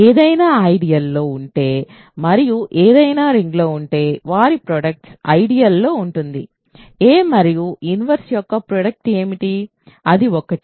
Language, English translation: Telugu, If something is in the ideal and something is in the ring their product is in the ideal, what is the product of a and a inverse that is 1